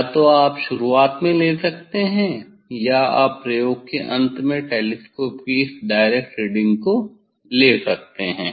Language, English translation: Hindi, either you can take at the beginning or you can take at the end of the experiment this direct reading of the telescope rights